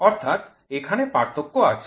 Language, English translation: Bengali, So, there is the discrepancy